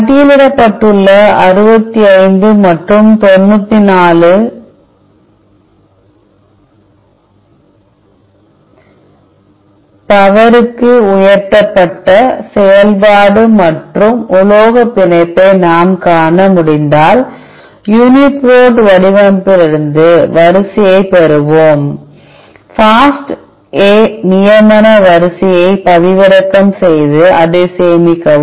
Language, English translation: Tamil, As we could see the function and the metal binding raised to the power 65 and 94, which are listed in we will obtain the sequence from UniProt format download the FASTA canonical sequence and, save it as